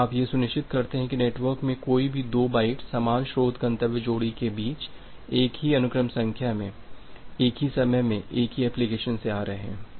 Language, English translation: Hindi, And you are making sure that no two bytes in the networks are having same sequence number between the same source destination pair coming from the same application at the same time instance